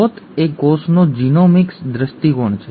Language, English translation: Gujarati, The source is Genomics view of the cell